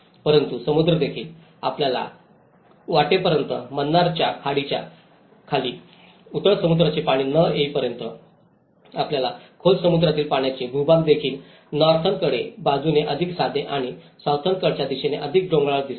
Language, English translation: Marathi, But the sea also, until your path straight you have the shallow sea waters further down the Gulf of Mannar, you find the deep sea waters also the geography is more plain from the northern side and it’s more hilly towards the southern side